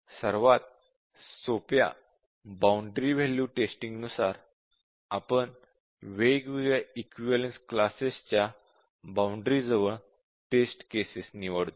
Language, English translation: Marathi, So, at the simplest the boundary value testing implies, we select test cases on the boundary of different equivalence classes